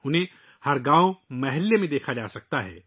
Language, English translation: Urdu, Today they can be seen in every village and locality